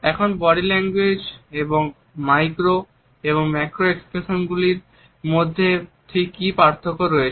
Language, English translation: Bengali, Now, what exactly is the difference between the macro and micro expressions of body language